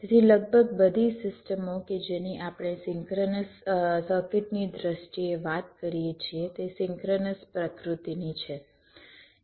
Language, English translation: Gujarati, so almost all the systems that we talk about in terms of synchronise circuits are synchronise in nature